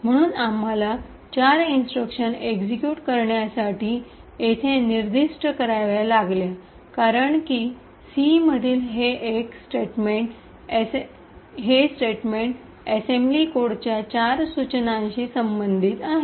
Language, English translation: Marathi, So, we had to specify four instructions to be executed because this single statement in C corresponds to four instructions in the assembly code